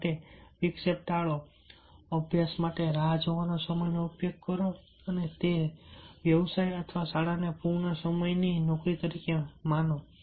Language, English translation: Gujarati, avoid distractions, use a waiting time to study and that treat profession or school as a full time job